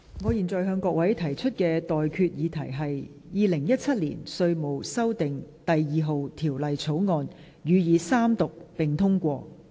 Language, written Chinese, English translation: Cantonese, 我現在向各位提出的待決議題是：《2017年稅務條例草案》，予以三讀並通過。, I now put the question to you and that is That the Inland Revenue Amendment No . 2 Bill 2017 be read the Third time and do pass